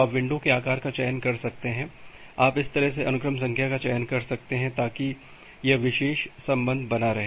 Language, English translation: Hindi, So, you can you can select the window size in you can select the sequence number in such a way so that this particular relation holds